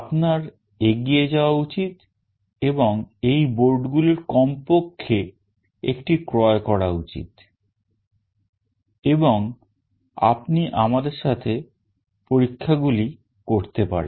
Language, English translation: Bengali, You should go ahead and purchase at least one of these boards and you can do the experiments along with us